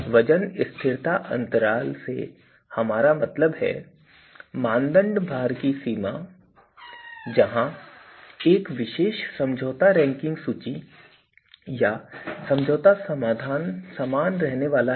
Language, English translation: Hindi, So, weight stability by weight stability intervals what we mean is the range of criteria weights, where a particular compromise ranking list or compromise solution is going to remain same